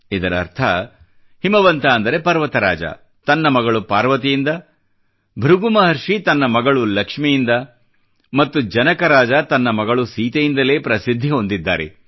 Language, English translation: Kannada, Which means, Himwant, Lord Mount attained fame on account of daughter Parvati, Rishi Brighu on account of his daughter Lakshmi and King Janak because of daughter Sita